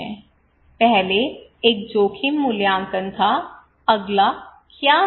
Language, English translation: Hindi, First one was the risk appraisal, what is the next one